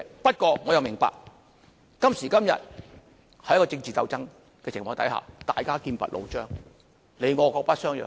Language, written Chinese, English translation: Cantonese, 不過，我也明白，今時今日，在一個政治鬥爭的情況下，大家劍拔弩張、各不相讓。, However I also understand that we refuse to give way to each other in the midst of a political struggle in these days as the hostility is so intense